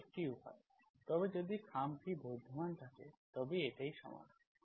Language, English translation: Bengali, That is one way but if the envelope exists, that is the solution